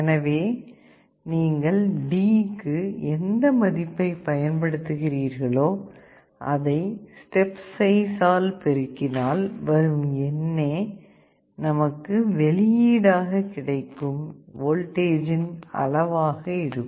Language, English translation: Tamil, So, whatever value you are applying to D, that step size multiplied by D will be the actual voltage you will be getting